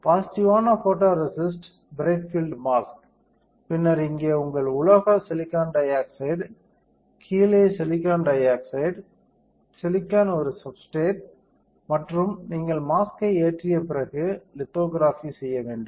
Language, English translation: Tamil, Positive photoresist bright field mask and then you have here your metal silicon dioxide on top, silicon dioxide on bottom, silicon is a substrate, after you load the mask you have to do lithography